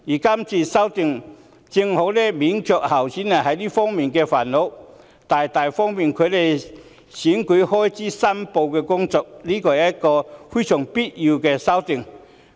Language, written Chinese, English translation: Cantonese, 這項修訂正好免卻候選人這方面的煩惱，大大利便他們申報選舉開支，是非常必要的修訂。, This amendment can exactly spare candidates of the troubles in this aspect and greatly facilitate their declaration of election expenses rendering it a most essential amendment